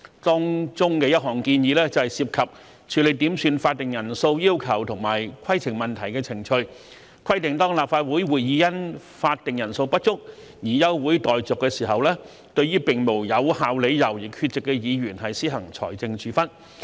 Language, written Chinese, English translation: Cantonese, 當中的一項建議涉及處理點算法定人數要求及規程問題的程序，規定當立法會會議因法定人數不足而休會待續時，對並無有效理由而缺席的議員施行財政處分。, One of the proposals involves the procedures for dealing with quorum calls and points of order . It is provided that a financial penalty will be imposed on a Member who is absent without valid reasons from a Council meeting adjourned due to a lack of quorum